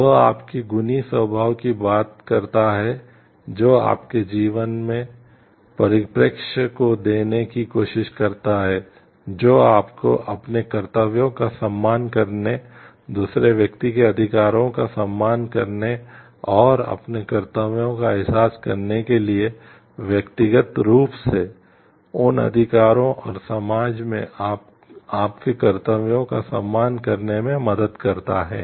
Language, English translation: Hindi, That talks of your virtuous nature which life tries to give your perspective of life which helps you to respect your duties respect to rights of other person and realize your duties, to respect those rights to the of the individual and your duties to the society at large